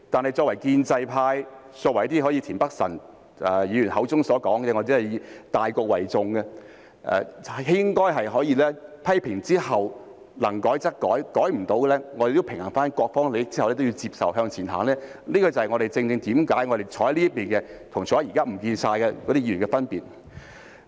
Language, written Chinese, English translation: Cantonese, 然而，作為建制派，好像田北辰議員口中所說以大局為重的，應該在批評之後，能改則改，改不到的，在平衡各方利益之後也要接受和向前走，這正正是我們坐在這邊的議員與現時全都不見了的議員的分別。, However for us in the pro - establishment camp who put it in Mr Michael TIENs words look at the big picture after making criticisms and when amendments are made where possible and even if there are still amendments that cannot be made we should still strike a balance among the interests of all sides and then accept it and move on . This is exactly the difference between us Members sitting on this side and those who are nowhere to be seen now